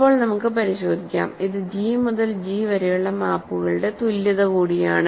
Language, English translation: Malayalam, So, let us check now so, this is also an equality of maps of G to G